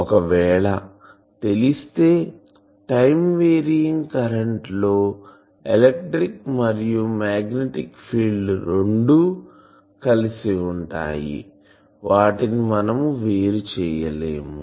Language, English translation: Telugu, We know that if there is a time varying current then both electric and magnetic fields they coexists, you cannot separate them